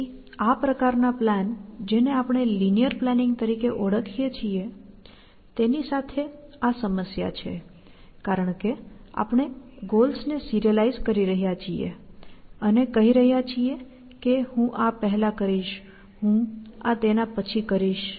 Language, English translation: Gujarati, So, that is a problem with this kind of planning, which we will also, call linear planning, because we are serializing the goals and saying, I will do this first; and I will do this first; and so on